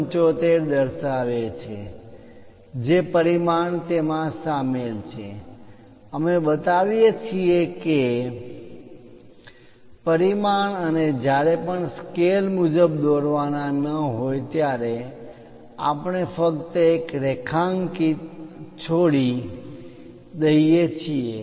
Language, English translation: Gujarati, 75 whatever the dimension is involved in that, we show that that dimension and whenever not to scale we just leave a underlined